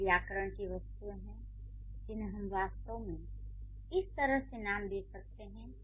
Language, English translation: Hindi, There are certain grammatical items which we can actually name them like this